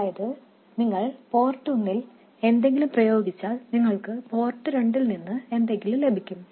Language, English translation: Malayalam, That is you apply something to port one you will get something at port two but you can't apply something to port two and expect something at port one